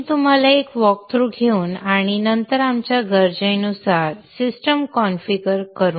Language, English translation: Marathi, I will show you by taking a walkthrough and then configuring the system to our needs